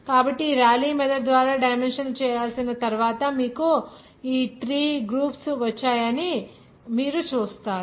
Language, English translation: Telugu, So you will see that after dimensional analysis by this Raleigh method you got these 3 groups